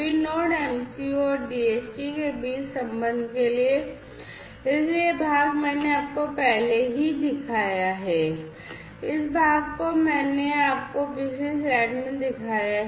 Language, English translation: Hindi, Then then for the connection between the Node MCU and the DHT; so, this part I have already shown you, this part I have shown you in the previous slide